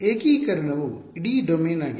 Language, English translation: Kannada, The integration is the whole domain